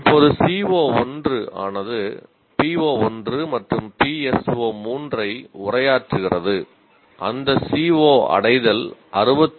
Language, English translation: Tamil, Now what happens, CO1 is addressing PO1 and PSO 3